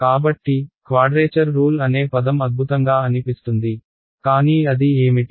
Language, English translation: Telugu, So, the word quadrature rules sounds fancy, but what is it